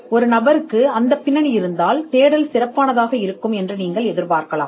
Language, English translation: Tamil, And if a person has a background, then you could expect a better search from that person